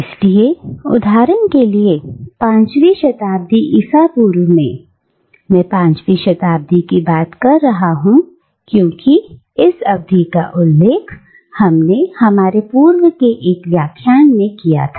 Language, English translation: Hindi, So, for instance, in the 5th century BCE, and I am talking about 5th century BCE because we have already referred to this period in one of our earlier lectures